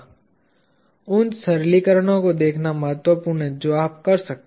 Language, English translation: Hindi, It is important to look at simplifications that you can do